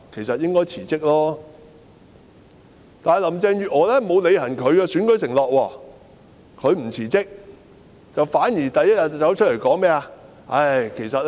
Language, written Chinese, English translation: Cantonese, 可是，林鄭月娥沒有履行其選舉承諾，不但沒有辭職，反而第一天走出來說甚麼呢？, However Carrie LAM has failed to fulfil her election pledge . Not only did she not resign what did she say the first day when she showed up?